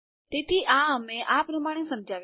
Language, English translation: Gujarati, So we explain this as follows